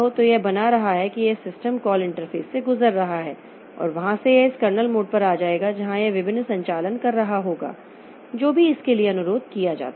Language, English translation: Hindi, So, from the user level there will be system call interface that will take it to the kernel mode and in the kernel mode it will be doing all those operations